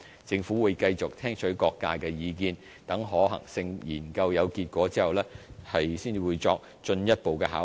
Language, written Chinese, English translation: Cantonese, 政府會繼續聽取各界的意見，待可行性研究有結果後，才作進一步考慮。, The Government will continue to listen to different sectors views and consider further when the outcome of a feasibility study is available